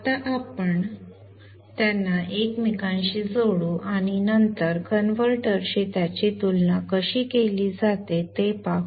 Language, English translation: Marathi, Now let us interconnect them and then observe how it comes back to the converter